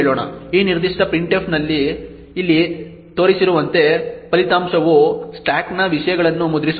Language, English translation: Kannada, The result this particular printf would be as shown over here which essentially would print the contents of the stack